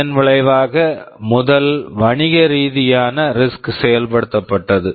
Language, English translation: Tamil, TSo, this resulted in the first commercial RISC implementation